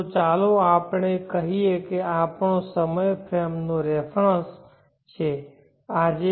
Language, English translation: Gujarati, So let us say this is our time frame of reference now today